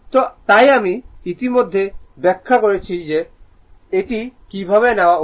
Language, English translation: Bengali, So, this is this already I all I have explained you that how one should take